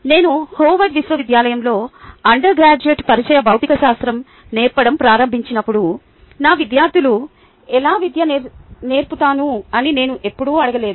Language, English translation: Telugu, when i started teaching introductory physics to undergraduate undergraduates at howard university, i never ask myself how i would educate my students